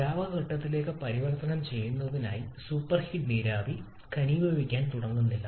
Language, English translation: Malayalam, That is the super heated vapour does not start to condense to gets converted to the liquid phase